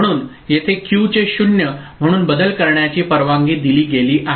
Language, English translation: Marathi, So, here it was allowed to change Q as 0